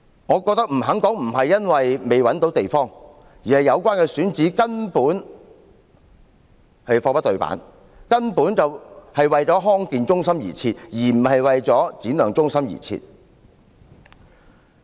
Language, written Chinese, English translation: Cantonese, 我認為，他不肯回答，並不是因為未找到地方，而是由於有關選址根本貨不對辦，根本是為了康健中心而設，而不是為了展亮中心而設。, I think that he refuses to reply not because he has not found a place but because the location of the site is totally unacceptable . It is designed for a health centre not for Shine Skills Centre